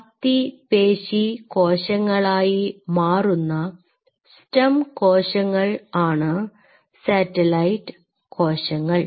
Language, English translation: Malayalam, So, these satellite cells are essentially it is stem cells this time to become a skeletal muscle